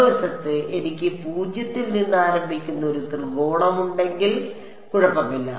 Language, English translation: Malayalam, On the other hand if I had a triangle starting from zero, then it is fine ok